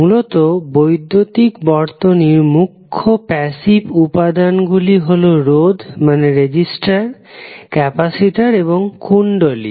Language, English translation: Bengali, Basically, the major passive elements in our electrical circuits are resistor, capacitor, and inductor